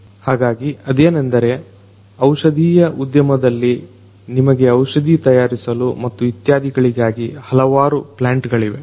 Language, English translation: Kannada, So, the thing is that there are in the pharmaceutical industry, you have different plants which are making different drugs and so on